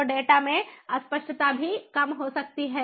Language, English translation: Hindi, so a ambiguity in the data can also creep